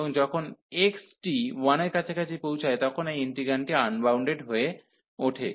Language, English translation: Bengali, And also when x is approaching to 1, this integrand is getting unbounded